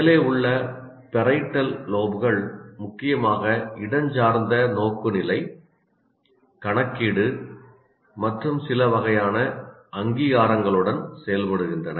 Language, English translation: Tamil, And parietal lobes located at the top deal mainly with spatial orientation, calculation and certain types of recognition